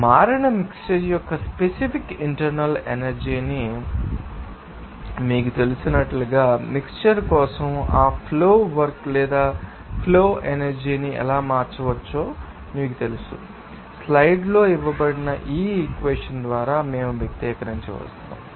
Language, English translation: Telugu, As you know that he specific internal energy of the mixture that changed plus you know, how that flow work or flow energy can be changed for that mixture they are so, we can expressed by this equation that is given in the slides